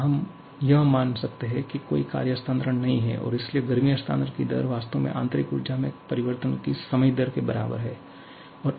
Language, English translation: Hindi, Here, we can assume that there is no work transfer at all and so, the rate of heat transfer is actually equal to the time rate of change of the internal energy